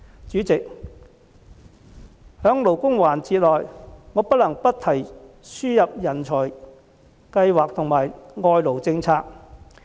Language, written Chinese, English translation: Cantonese, 主席，在關乎勞工的辯論環節中，我不能不提輸入人才和外勞政策。, President in the debate session concerning labour issues I cannot help but mention the subject of importation of talents and the labour importation policy